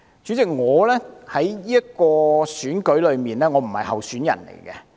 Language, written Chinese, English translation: Cantonese, 主席，我不是今次選舉的候選人。, President I was not a candidate in this past election